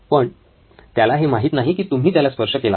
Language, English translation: Marathi, But he doesn’t know that you have touched him